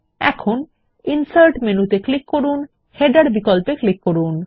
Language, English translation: Bengali, Now click on the Insert menu and then click on the Header option